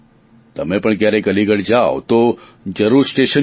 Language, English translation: Gujarati, If you go to Aligarh, do visit the railway station